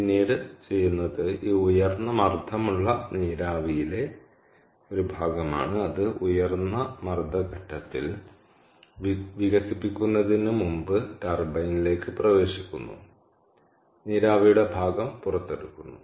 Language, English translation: Malayalam, so, during off peak hours, then what is done is part of this high pressure steam that enters the turbine before it is expanded at the high pressure stage itself, part of the steam is extracted out